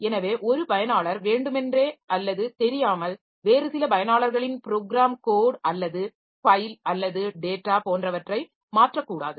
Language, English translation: Tamil, So, one user should not we have willingly or unintentionally modify some other users program code or file etc